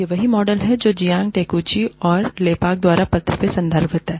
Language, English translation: Hindi, This is the model, that has been referred to, in the paper by Jiang Takeuchi, and Lepak